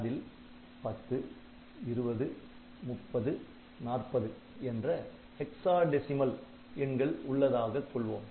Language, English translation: Tamil, suppose its content is a hexadecimal 10, 20, 30, 40